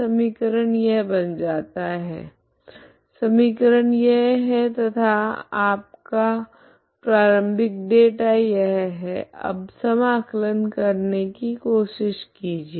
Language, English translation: Hindi, Equation becomes this, equation is this and your initial data is this now try to integrate